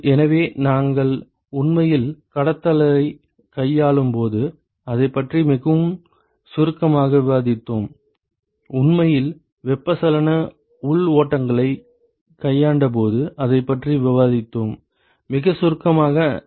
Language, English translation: Tamil, So, we discussed about it very briefly when we talked when we actually dealt with conduction, we also discussed about it when we actually dealt with convection internal flows, very briefly we did that